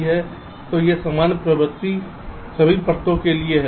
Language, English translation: Hindi, ok, so this general trend holds for all the layers